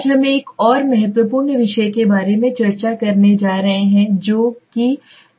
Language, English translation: Hindi, Today what we are going to do is we are going to discuss about another important topic that is sampling okay